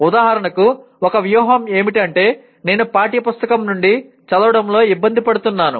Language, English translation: Telugu, For example one strategy is I am having difficulty in reading from the textbook